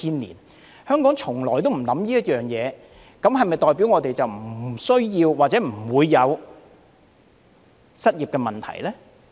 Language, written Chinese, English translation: Cantonese, 然而，香港從來沒有考慮此事，這是否代表我們不需要或者不會有失業問題呢？, However Hong Kong has never considered this matter . Does it mean that we do not need to do this or we will not have the problem of unemployment?